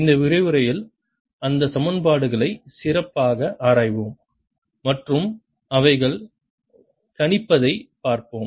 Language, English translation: Tamil, let us now see, explore this equations a better in this lecture and see what they predict